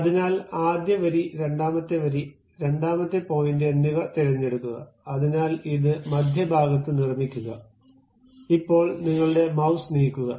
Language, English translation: Malayalam, So, pick first line, second line, second point, so it construct on the center, now move your mouse